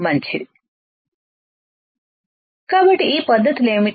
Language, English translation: Telugu, So, What are these techniques